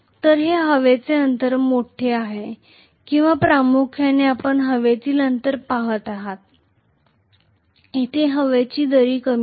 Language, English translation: Marathi, So this is air gap is large or primarily we are looking at the air gap, here the air gap is small